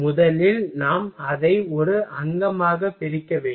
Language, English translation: Tamil, First we will have to divide it in a component